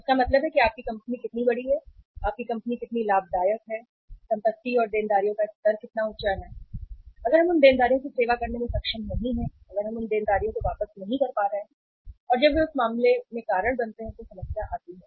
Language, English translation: Hindi, So it means how big your company is, how profitable your company is, how high the level of assets and liabilities is; if we are not able to serve those liabilities, if we are not able to payback those liabilities as and when they become due in that case there comes the problem